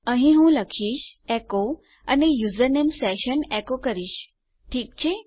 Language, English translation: Gujarati, Here Ill say echo and Ill echo the username session, okay